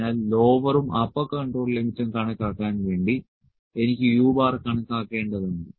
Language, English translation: Malayalam, So, to calculate the lower and the upper control limits I need to calculate the u bar